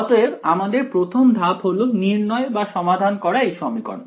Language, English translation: Bengali, So, the first step is to calculate or rather solve this equation over here